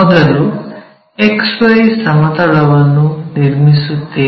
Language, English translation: Kannada, So, here the XY plane first one has to construct